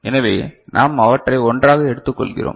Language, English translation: Tamil, So, we are taking them together